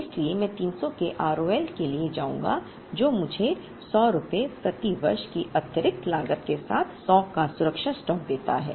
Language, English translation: Hindi, Therefore, I would rather go for a R O L of 300, which gives me a safety stock of 100 with an additional cost of rupees 100 per year